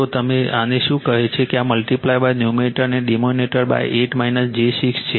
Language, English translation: Gujarati, So, now you just your what you call this one you multiply numerator and denominator by 8 minus j 6